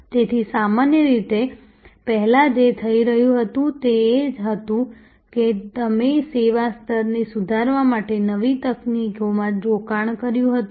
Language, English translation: Gujarati, So, normally earlier what was happening was that you invested in new technologies for improving the service level